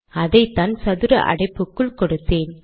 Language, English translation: Tamil, This is what I have given within the square brackets